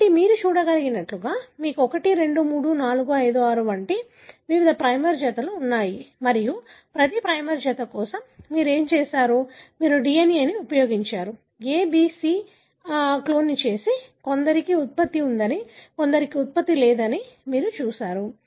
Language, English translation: Telugu, So, as you can see here, you have, different primer pairs, like for example 1, 2, 3, 4, 5, 6 and so on and what you have done for each primer pair, you have used the DNA either from the clone A, B or C and then, you have seen that for some there is a product, for some there is no product